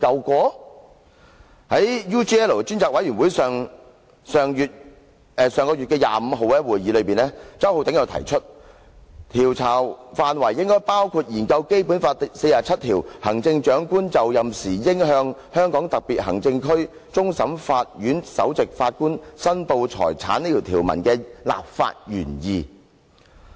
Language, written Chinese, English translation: Cantonese, 在上月25日，專責委員會的會議上，周浩鼎議員提出，調查範圍應包括研究《基本法》第四十七條，即"行政長官就任時應向香港特別行政區終審法院首席法官申報財產"這項條文的立法原意。, At the meeting of the Select Committee on the 25 of last month Mr Holden CHOW suggested that the scope of the inquiry should include studying the legislative intent of Article 47 of the Basic Law ie . The Chief Executive on assuming office shall declare his or her assets to the Chief Justice of the Court of Final Appeal of the Hong Kong Special Administrative Region